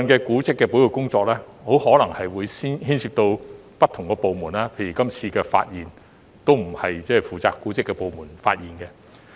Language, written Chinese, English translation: Cantonese, 古蹟保育工作部分可能牽涉不同部門，例如這次發現的歷史建築並不是負責古蹟的部門發現的。, Some of the work of heritage conservation may involve different departments . For instance the historic building discovered this time around was not discovered by a department related to monuments